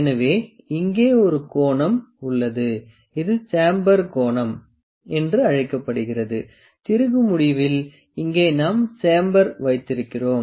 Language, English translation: Tamil, So, there is an angle here, this is known as chamfer angle at the end of the screw here we have the chamfer